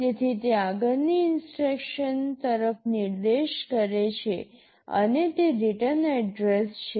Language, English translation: Gujarati, So, it is pointing to the next instruction, that is the return address